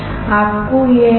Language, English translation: Hindi, Now you have this